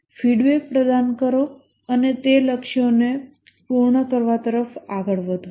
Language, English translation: Gujarati, Provide feedback on progress towards meeting those goals